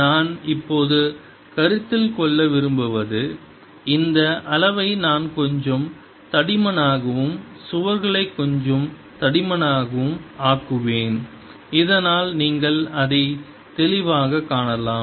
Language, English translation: Tamil, what i want to consider now i'll make this volume little thicker, so that the walls little thicker, so that you see it clearly